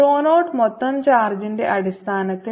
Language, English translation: Malayalam, what about rho zero in terms of the total charge